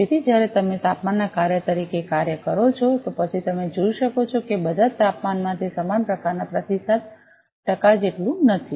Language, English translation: Gujarati, So, when you do as a function of temperature, then as you can see that not at all temperature it as similar kind of response percent